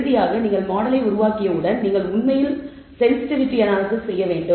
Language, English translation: Tamil, Finally once you develop the model you want to actually do sensitivity anal ysis